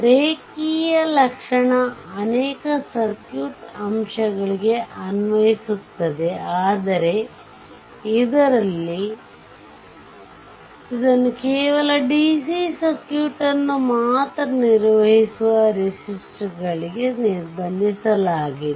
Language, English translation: Kannada, So, although linear property applies to many circuit elements right, but in this chapter, we will restrict it to the registers only because we have handling only dc circuit